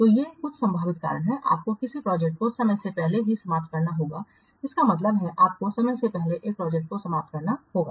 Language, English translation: Hindi, So these are some of the possible reasons why you have to terminate a project before its time